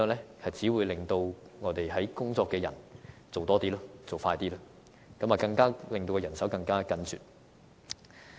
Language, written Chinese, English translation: Cantonese, 就是只會令正在工作的員工要做得更多、更快，令到人手更加緊絀。, This means more workloads and more pressing duties for frontline staff resulting in further strained manpower